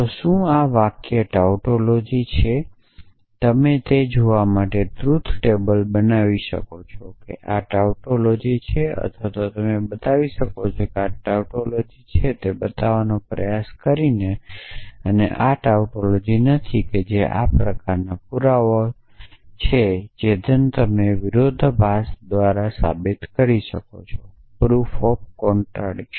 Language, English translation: Gujarati, So, is this sentence are tautology you can construct a truth table to find out and show that this is tautology or you can try and show that this is a tautology by trying to show that it is not a tautology which is kind of proof that you often do proof by contradiction